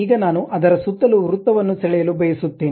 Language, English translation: Kannada, Now, I would like to draw a circle around that